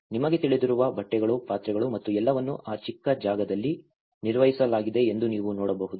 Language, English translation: Kannada, You can see that the clothes, their utensils you know and this everything has been managed within that small space